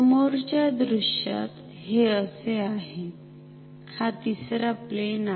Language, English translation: Marathi, In the front view, this is like, this is the third plane